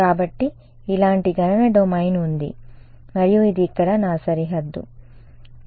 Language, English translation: Telugu, So, there is that is a computational domain like this and this is my boundary over here ok